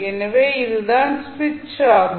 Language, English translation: Tamil, So, this is this the switch